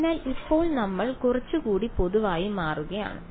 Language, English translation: Malayalam, So, now, we are sort of becoming a little bit more general